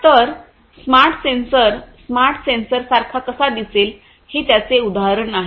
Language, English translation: Marathi, So, this is how is this is how a smart sensor would look like a smart sensor this is an example of it